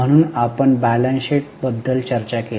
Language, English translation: Marathi, So, we discussed about the balance sheet